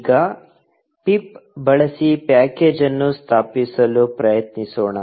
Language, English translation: Kannada, Now, let us try to install a package using pip